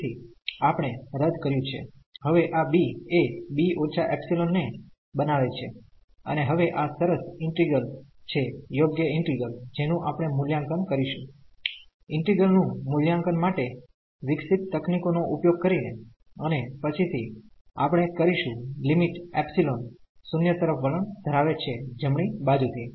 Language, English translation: Gujarati, So, we have avoided now this b making this b minus epsilon and now this is nice integral, the proper integral which we will evaluate using the techniques developed for the evaluation of the integral and later on we will take the limit epsilon tending to 0 from the right side